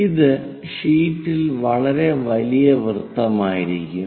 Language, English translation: Malayalam, It will be very large circle on the sheet